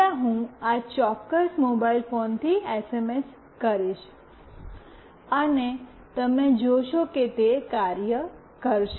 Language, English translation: Gujarati, First I will send SMS from this particular mobile phone, and you see that it will work